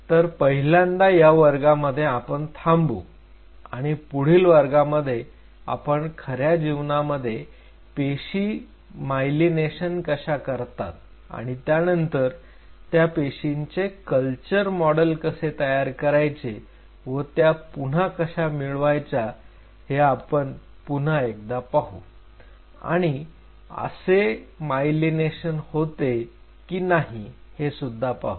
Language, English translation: Marathi, So, the first thing what we will be doing not in this class in the next class we will talk about how in real life a cell gets myelinated and how if you have to create a cell culture model how you can regain it or how you can reintroduce the cell to see whether such myelination happens or not